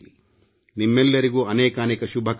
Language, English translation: Kannada, My good wishes to all of you